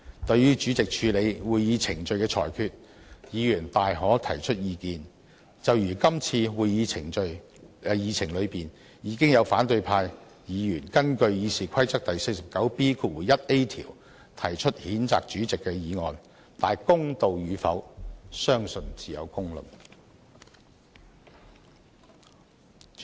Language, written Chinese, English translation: Cantonese, 對於主席為處理會議程序而作出的裁決，議員大可提出意見，就如今次會議議程中，已有反對派議員根據《議事規則》第 49B 條提出譴責主席的議案，公道與否，相信自有公論。, Members can express views on the rulings made by the President in dealing with the procedures of meetings for example they can express views on the Agenda of this meeting . There is a motion on censuring the President under RoP 49B1A . Whether the censure is fair or not members of the public will make their own judgment